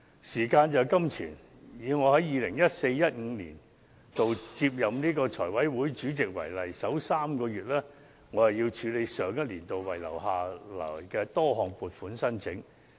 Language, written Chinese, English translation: Cantonese, 時間便是金錢，舉例而言，我於 2014-2015 年度接任財委會主席，首3個月須處理上一年度遺留下來的多項撥款申請。, Time is money . For example I took over the chair of the Finance Committee in the 2014 - 2015 legislative session and had to handle numerous stand - over funding applications of the previous session during the first three months